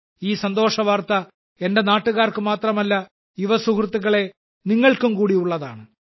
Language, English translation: Malayalam, This good news is not only for the countrymen, but it is special for you, my young friends